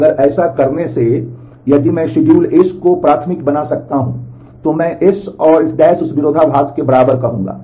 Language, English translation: Hindi, And if by doing this, if I can create the schedule S primed, then I will say S and S’ that conflict equivalent